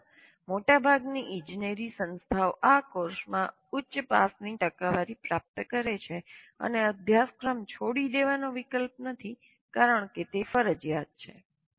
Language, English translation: Gujarati, And in India, most engineering institutes achieve a high pass percentage in this course, and dropping out of the course is not an option because it's compulsory